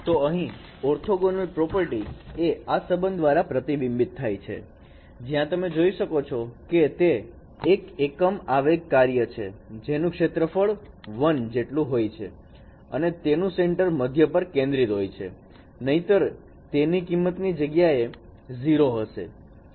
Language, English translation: Gujarati, So the orthognity property is reflected by this particular relationships where you can see that delta x is a unit impulse function and which is whose area is equal to one centering at omega to omega equal to zero and otherwise no delta x value would be zero in everywhere